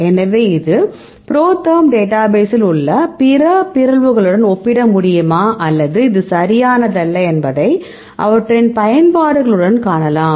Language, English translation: Tamil, So, we can compare whether this is comparable with the other mutations in the ProTherm database or not right this is that, they use